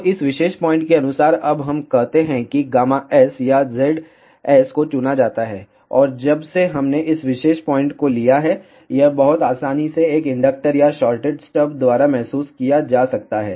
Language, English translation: Hindi, So, corresponding to this particular point now we can say gamma S or Z S is chosen, and since we have taken this particular point this can be very easily realized by an inductor or a shorted stub